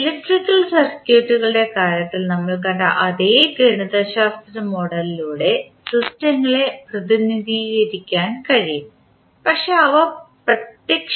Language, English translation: Malayalam, Now, the systems can be represented by the same mathematical model as we saw in case of electrical circuits but that are physically different